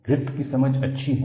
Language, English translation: Hindi, The understanding of Griffith is good